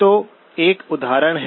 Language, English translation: Hindi, So an example